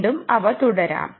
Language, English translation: Malayalam, lets continue further